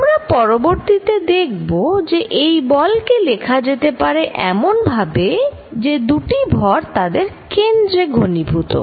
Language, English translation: Bengali, We will see later, that this force can be written as if the two masses are concentrated at their centers